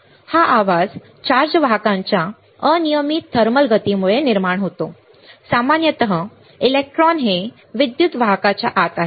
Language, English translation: Marathi, So, this noise is generated by random thermal motion of charge carriers usually electrons inside an electrical conductor